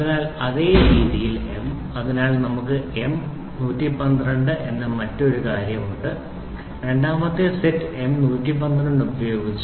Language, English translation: Malayalam, So in the same way for; M so, we have the other thing M 112 so, using the second set M 112